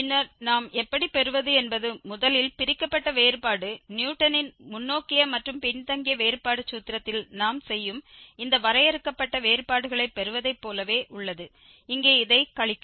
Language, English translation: Tamil, And then the first this divided difference how do we get is exactly similar to getting these finite differences which we are doing in Newton's forward and backward difference formula, just subtract this one here